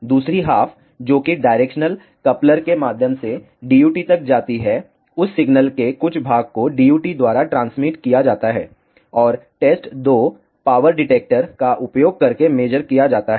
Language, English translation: Hindi, The second half that goes through the directional coupler to the DUT some part of that signal is transmitted by the DUT, and is measured using the test 2 power detector